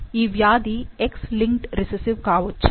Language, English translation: Telugu, Could this disease be X linked recessive